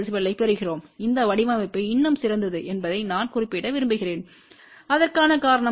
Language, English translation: Tamil, 3 db , I just to want to mention that this design is still better the reason for that is that